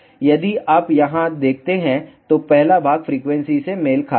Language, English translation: Hindi, If you see here, the first part corresponds to the frequency